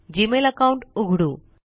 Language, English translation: Marathi, First we open the Gmail account